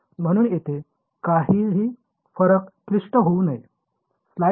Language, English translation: Marathi, So, should not be anything too complicated here